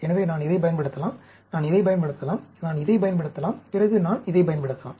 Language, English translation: Tamil, So, I can use this, I can use this, I can use this, then, I can use this